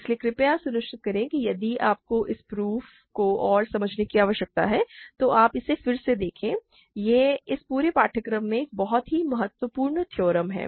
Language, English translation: Hindi, So, please make sure that you watch this again if you need to and understand this proof; this is a very crucial theorem in this whole course